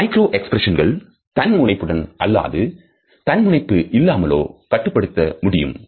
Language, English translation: Tamil, Micro expressions can also be controlled voluntary and involuntary